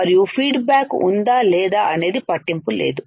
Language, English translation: Telugu, And it is true whether feedback is there or not does not matter